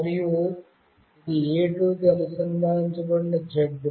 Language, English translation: Telugu, And this one is z that is connected to A2